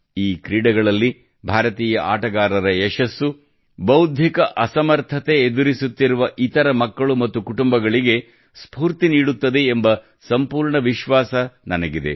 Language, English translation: Kannada, I am confident that the success of Indian players in these games will also inspire other children with intellectual disabilities and their families